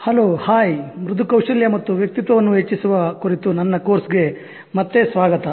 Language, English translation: Kannada, Hello, hi, welcome back to my course on enhancing soft skills and personality